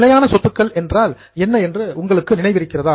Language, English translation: Tamil, Do you remember what is meant by fixed assets